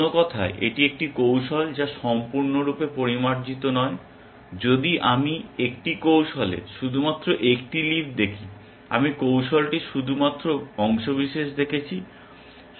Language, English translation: Bengali, In other words, it is a strategy which is not completely refined, if I have seen only one leaf in a strategy, I have seen only part of the strategy